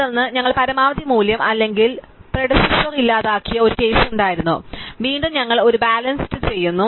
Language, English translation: Malayalam, And then there was a case where we deleted the maximum value or the predecessor, so again we do a rebalance